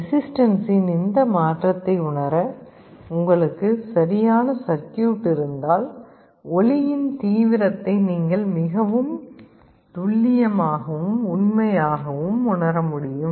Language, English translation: Tamil, If you have a proper circuitry to sense this change in resistance, you can very faithfully and accurately sense the level of light intensity